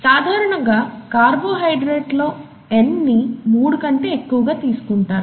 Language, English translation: Telugu, And usually N is taken to be greater than three for a carbohydrate